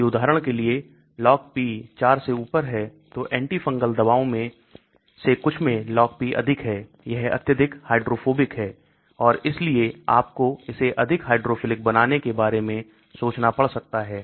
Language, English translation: Hindi, If the Log P is above 4 for example, some of the antifungal drugs have very high Log P, they are highly hydrophobic and so you may have to think about making it more hydrophilic